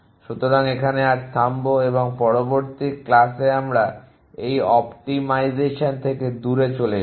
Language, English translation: Bengali, So, will stop here and in the next class we will move away from this optimization